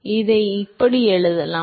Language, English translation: Tamil, So, you can write this as